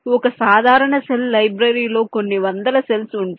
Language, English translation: Telugu, a typical cell library can contain a few hundred cells